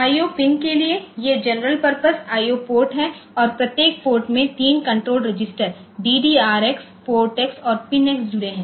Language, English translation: Hindi, So, for the IO pins, these are general purpose IO ports and each port has 3 control registers associated with it DDRx, PORTx and PINx